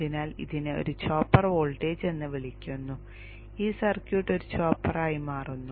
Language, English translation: Malayalam, So it's called a chopper voltage and this circuit becomes a chopper